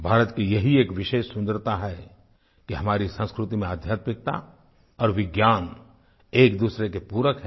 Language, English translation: Hindi, This is India's unique beauty that spirituality and science complement each other in our culture